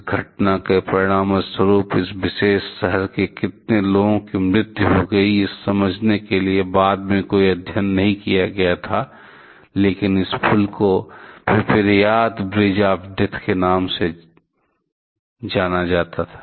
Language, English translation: Hindi, There are no study was done later on to understand; how many persons from this particular town died as a result of this incident, but this bridge has been named as Pripyat Bridge of death